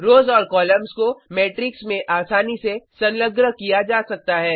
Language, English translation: Hindi, Rows and columns can be easily appended to matrices